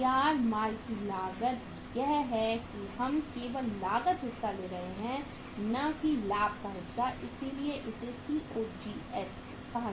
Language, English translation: Hindi, Cost of inished goods is that we are taking only the cost part not the profit part so that is why it is called as the COGS